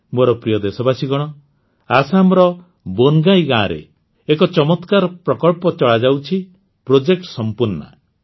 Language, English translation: Odia, My dear countrymen, an interesting project is being run in Bongai village of Assam Project Sampoorna